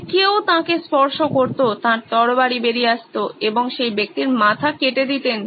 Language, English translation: Bengali, If somebody touched him, off came his sword and off came that person’s head